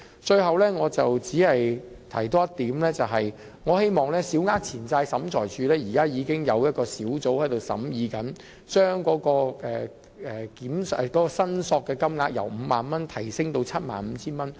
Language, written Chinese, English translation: Cantonese, 最後，我只是多提一點，也就是小額錢債審裁處現時已經有小組正在審議，將申索限額由 50,000 元提升至 75,000 元。, Lastly I will make only one more point about raising the limit of claims of the Small Claims Tribunal from 50,000 to 75,000 which is already being examined by a working group now